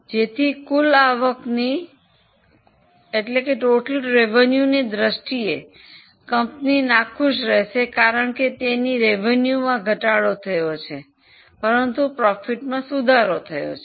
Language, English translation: Gujarati, So, in terms of total revenue, company will be unhappy because its revenue has fallen but profitability has improved